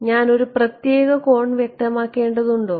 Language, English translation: Malayalam, Did I have to specify a particular angle